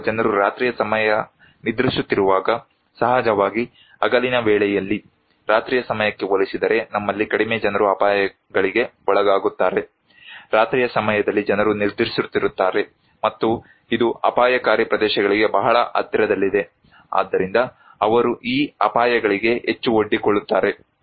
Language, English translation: Kannada, Or maybe night time when people are sleeping so, at day time of course, we have less people are exposed to hazards compared to night time, at night time people are sleeping and which are very close to hazardous areas, so they are more exposed to these hazards